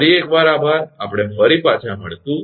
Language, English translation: Gujarati, Thank you again we will be back again